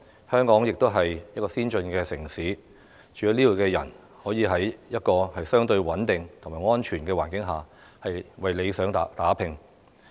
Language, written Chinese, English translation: Cantonese, 香港也是先進的城市，居民可以在相對穩定和安全的環境下為理想打拼。, Hong Kong is an advanced city where residents can work hard for their aspirations in a relatively stable and safe environment